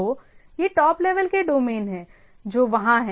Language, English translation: Hindi, So, these are the top level domains, which are they are which is there